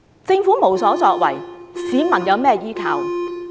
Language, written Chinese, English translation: Cantonese, 政府無所作為，市民有甚麼依靠？, And so people are silenced . With the inaction of the Government what can people rely on?